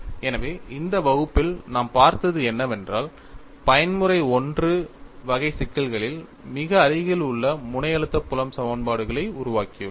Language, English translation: Tamil, So, in this class, what we have looked at was, we have developed the very near tip stress field equations in Mode 1 type of problems